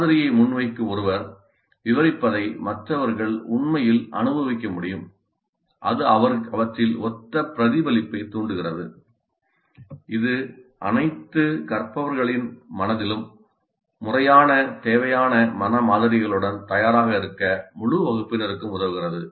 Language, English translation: Tamil, Others can actually experience what someone who is presenting the model describes and it stimulates similar recollection in them which helps the entire class to be ready with proper requisite mental models invoked in the minds of all the learners